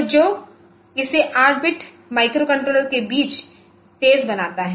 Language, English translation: Hindi, So, which makes it faster among 8 bit microcontrollers